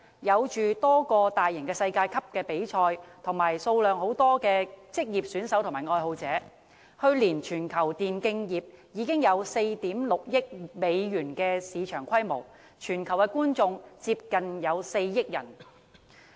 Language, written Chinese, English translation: Cantonese, 現時，全球有多個大型世界級比賽項目，以及數目龐大的職業選手和愛好者，去年全球電競業的市場規模已達4億 6,000 萬美元，觀眾接近4億人。, At present there are a number of world - class e - sports tournaments and a huge number of e - sports professional gamers and fans . Last year the global e - sports market has recorded a revenue of US460 million and attracted an audience of nearly 400 million